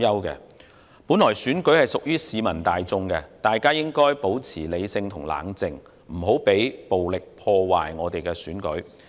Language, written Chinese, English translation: Cantonese, 選舉本來是屬於市民大眾的，大家應保持理性和冷靜，不要讓暴力破壞選舉。, Elections are a matter for all of us and we should keep calm and be rational do not let violence ruin elections